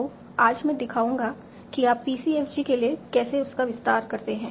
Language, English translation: Hindi, So today I will just show how do you extend that for PCFG